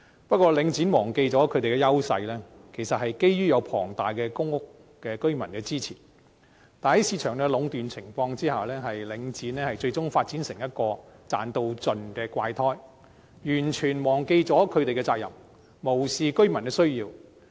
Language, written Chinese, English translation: Cantonese, 不過，領展忘記了其優勢其實是基於有龐大的公屋居民支持，但在市場壟斷的情況下，領展最終發展成為一個"賺到盡"的"怪胎"，完全忘記了其責任，無視居民的需要。, However Link REIT has forgotten that its edge actually hinges on the vast support of public housing residents . Yet given the monopolization of the market Link REIT has eventually developed into a freak which seeks to maximize its profits completely forgetting its responsibility and disregarding the residents needs